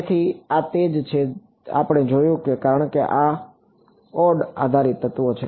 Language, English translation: Gujarati, So, these are what we looked at so, for these are node based elements